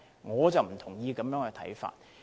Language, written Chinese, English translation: Cantonese, 我不同意這種看法。, I do not endorse such a view